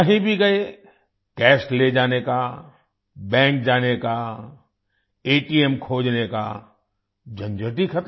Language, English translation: Hindi, Wherever you go… carrying cash, going to the bank, finding an ATM… the hassle is now over